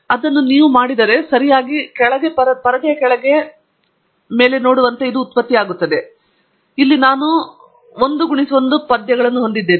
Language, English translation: Kannada, So, if I do this, then it produces as you see on the right bottom screen, I have here the y 1 verses x 1